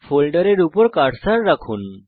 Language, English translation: Bengali, Place the cursor on the folder